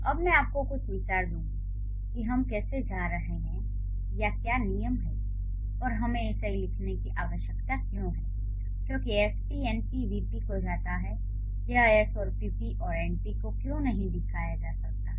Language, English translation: Hindi, now I'll give you some idea how we are going to or what are the rules and why we need to write it as S goes to NPVP, why it can't be S goes to P and NP